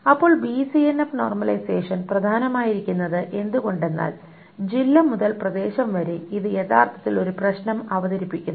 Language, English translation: Malayalam, So why is BCNF normalization important is that if the area to district is actually introduces a problem